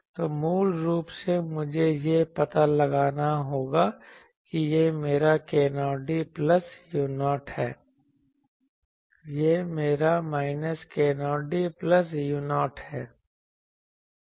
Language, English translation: Hindi, So, basically I will have to locate that this is my k 0 d plus u 0, this is my let us say minus k 0 d plus u 0 ok